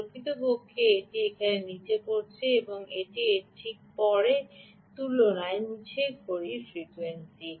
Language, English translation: Bengali, in fact it fell down here and this is a lower clock frequency, right